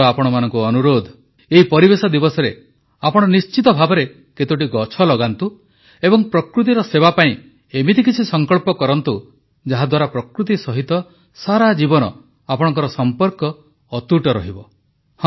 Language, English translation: Odia, I request you to serve nature on this 'Environment Day' by planting some trees and making some resolutions so that we can forge a daily relationship with nature